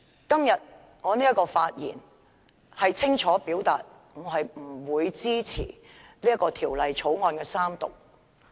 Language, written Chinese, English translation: Cantonese, 今天我的發言是想清楚表達，我不會支持《條例草案》三讀。, Today I wish to clearly express my objection to the Third Reading of the Bill